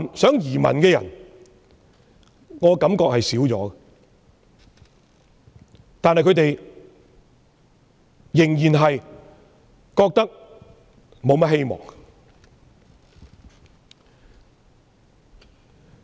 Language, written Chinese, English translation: Cantonese, 有意移民的人減少了，但他們對本港仍然沒有多大希望。, While fewer people have the intention to migrate to other countries they still do not pin much hopes on Hong Kong